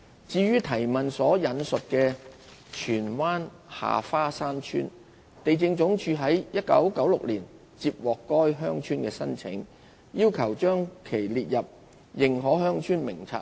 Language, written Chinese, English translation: Cantonese, 至於質詢所引述的荃灣下花山村，地政總署於1996年接獲該鄉村的申請，要求將其列入《認可鄉村名冊》內。, As for Ha Fa Shan Village in Tsuen Wan referred to in the question LandsD received an application from the village in 1996 for inclusion in the List of Recognized Villages